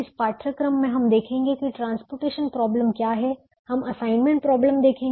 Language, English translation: Hindi, we will see what is called the transportation problem and we will see the assignment problem